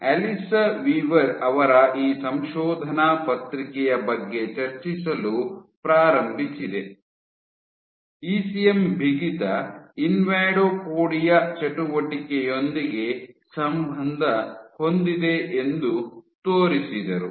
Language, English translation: Kannada, And I began discussing this paper by Alissa Weaver, who showed that ECM stiffness is correlated with invadopodia activity